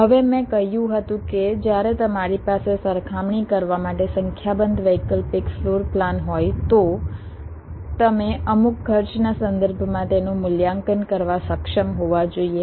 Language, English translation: Gujarati, now i had said that when you have a number of alternate floor plans ah to compare, you should be able to just evaluate them with respect to some cost